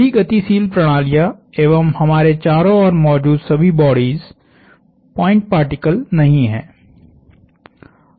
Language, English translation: Hindi, All of the dynamical systems, all of the bodies we see around us are not point particles